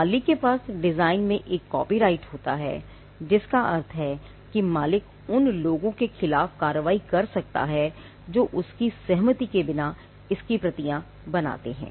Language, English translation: Hindi, The owner has a copyright in the design, which means the owner can take action against other people who make copies of it without his consent